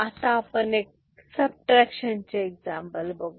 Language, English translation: Marathi, So, we shall look at one subtraction example right